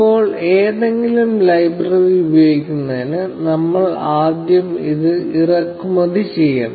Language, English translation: Malayalam, Now, to use any library, we will have to import it first